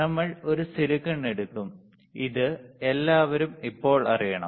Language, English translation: Malayalam, We will take a silicon, this everybody should know now